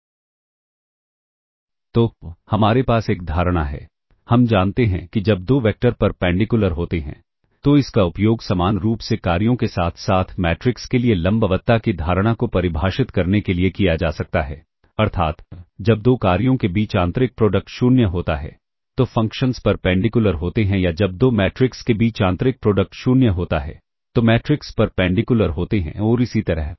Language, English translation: Hindi, So, we have a notion we know when two vectors are perpendicular this can be similarly be used to define a notion of perpendicularity for functions as well as matrices that is when the inner product between two functions is 0 the functions are perpendicular or the inner product between two matrices is 0 then the matrices are perpendicular and